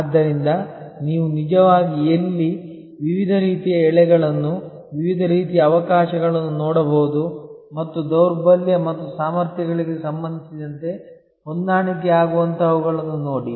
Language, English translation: Kannada, Where you can actually therefore, look at different kinds of threads, different kinds of opportunities and see which are the corresponding matching with respect to weaknesses and strengths